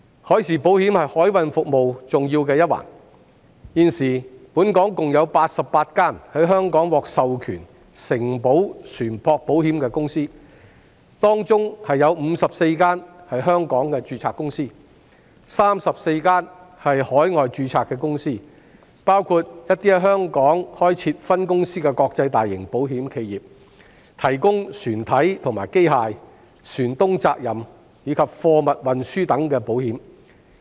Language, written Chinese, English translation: Cantonese, 海事保險是海運服務的重要一環，現時本港有88間獲授權承保船舶保險的公司，當中54間是在香港註冊的公司 ，34 間是海外註冊的公司，包括在香港開設分公司的國際大型保險企業，提供船體和機械、船東責任，以及貨物運輸等保險。, Maritime insurance is an important part of maritime services . At present there are 88 companies authorized to provide shipping insurance in Hong Kong of which 54 companies are registered in Hong Kong and 34 companies are registered overseas including large international insurance enterprises that have branches in Hong Kong . They offer hull and machinery shipowners liabilities and cargo insurance etc